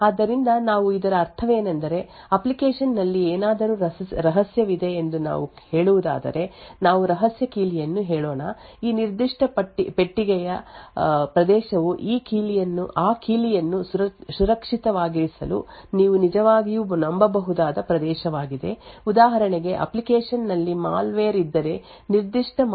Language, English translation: Kannada, So what we mean by this is that if let us say the application has something secret let us say a secret key then this particular boxed area are is the region which you actually assumed to be trusted in order to keep that key secure, for instance if there is a malware in the application then that particular malware could steal that secret key